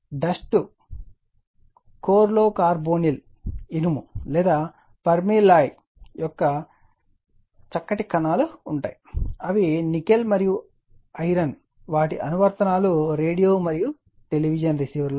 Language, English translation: Telugu, Dust core consists of fine particles of carbonyl iron or your call permalloy that is your nickel and iron application radio and television receivers, right